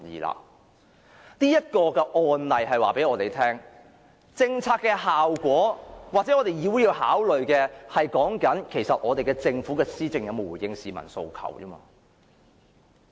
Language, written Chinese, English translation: Cantonese, 這一個案例告訴我們，政策的效果是議會所要考慮的，即我們須着眼於政府的施政有否回應市民訴求。, This case tells us that this Council has to take into consideration the effect of a policy that means we have to focus on whether policy implementation by the Government is in answer to the calls of the public